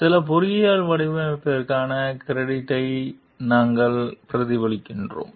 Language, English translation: Tamil, We reflect the credit for some engineering design